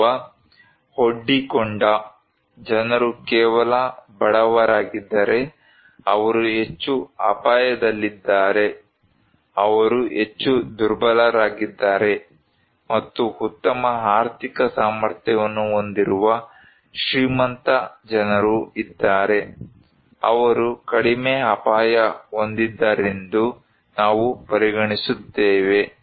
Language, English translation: Kannada, Or if the people who are exposed they are only poor, they are more at risk, they are more vulnerable and if a rich people who have better economic capacity, we consider to be that they are less risk